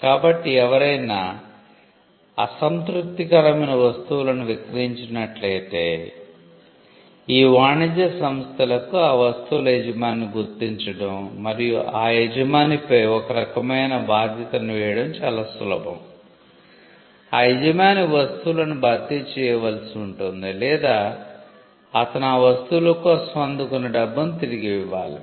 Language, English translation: Telugu, So if someone sold unsatisfactory goods then, it was easy for these trade organizations to identify the owner of those goods and cause some kind of liability on the owner, either the owner had to replace the goods or he had to give back the consideration the money, he received for the goods